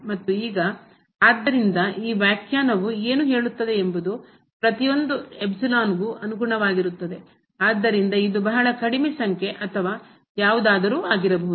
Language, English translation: Kannada, So, what this definition says is that corresponding to every epsilon; so this could be a very small number or anything